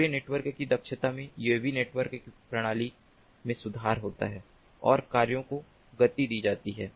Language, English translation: Hindi, efficiency overall of the network improves in a uav network system and the missions can be speeded up